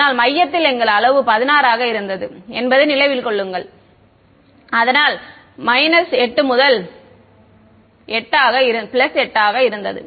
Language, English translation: Tamil, So, centre remember our size was 16 so, minus 8 to 8